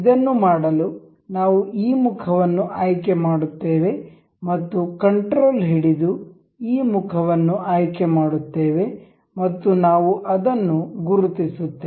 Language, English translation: Kannada, To do this we will select this face and we will select control select this face and we will mark